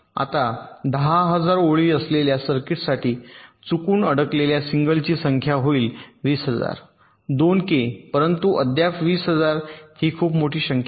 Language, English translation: Marathi, now, for a circuit with, lets say, ten thousand lines, the number of single stuck at fault will be twenty thousand, two k, but still twenty thousand is a pretty large number of